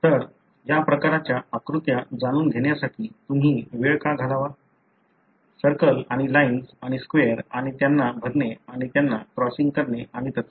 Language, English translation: Marathi, So, why should you spend time in making this kind of you know diagrams; circles and lines and squares and filling them and crossing them and so on